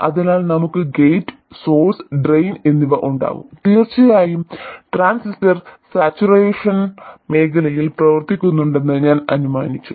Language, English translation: Malayalam, So, we will have gate source and drain and of course I have assumed that the transistor is operating in saturation region